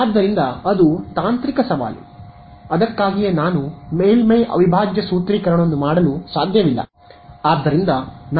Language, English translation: Kannada, So, that is the technical challenge that is why I cannot do surface integral formulation